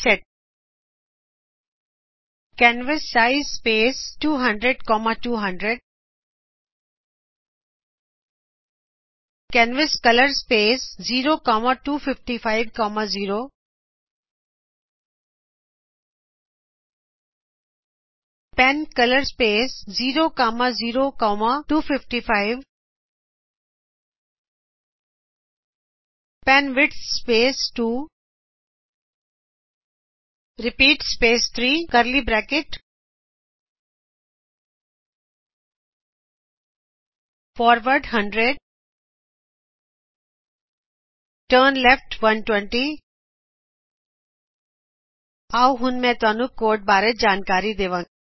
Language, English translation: Punjabi, Type the following commands into your editor: reset canvassize space 200,200 canvascolor space 0,255,0 pencolor space 0,0,255 penwidth space 2 repeat space 3 within curly braces { forward 100 turnleft 120 } Let me now explain the code